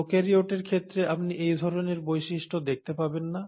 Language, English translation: Bengali, So this feature you do not see in case of prokaryotes